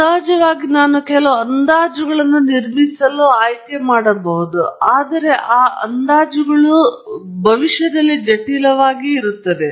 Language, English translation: Kannada, Of course, I can choose to build some approximations, but even those approximations can be quite complicated